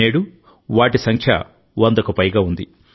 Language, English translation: Telugu, Today their number is more than a hundred